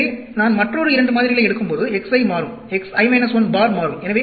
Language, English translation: Tamil, So, when I take another 2 samples, the x i will change, x i minus 1 bar will change